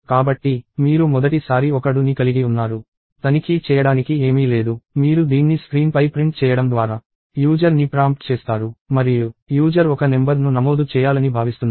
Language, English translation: Telugu, So, the very first time you have a do, there is nothing to check; you prompt the user by printing this on the screen; and the user is expected to enter a number